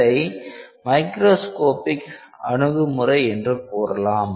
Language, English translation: Tamil, So, that is called as macroscopic approach